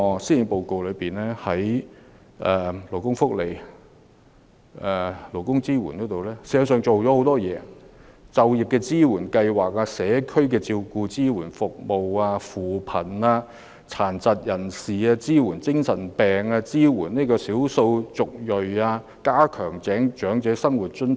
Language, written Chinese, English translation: Cantonese, 施政報告在勞工福利及勞工支援方面確實下了很大工夫，例如優化就業支援計劃及社區照顧及支援服務；扶貧；支援殘疾人士、精神病康復者及少數族裔人士，以及擴展長者生活津貼等。, Returning to the Policy Address it has indeed covered many aspects of employees benefits and support such as enhancing the employment support programme as well as the community care and support services poverty alleviation supporting persons with disabilities ex - mentally ill persons and ethnic minorities and extending the old age living allowance